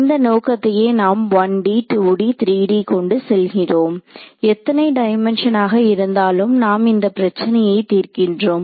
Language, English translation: Tamil, So, this is the motivation will carry to 1D 2D 3D whatever how many of a dimensions we are solving a problem